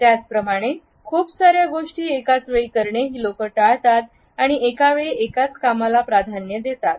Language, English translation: Marathi, And at the same time they do not want to dabble with so many things simultaneously and they prefer to do one thing at a time